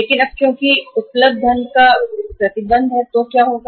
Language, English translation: Hindi, But now because the restriction of the funds available so what will happen